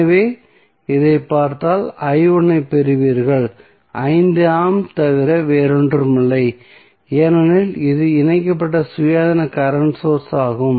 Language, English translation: Tamil, So, if you see this one you will simply get i 1 is nothing but 5 ampere because this is the independent current source connected to this for next this mesh what you will get